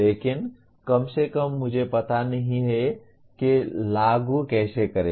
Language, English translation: Hindi, But at least I do not know how to apply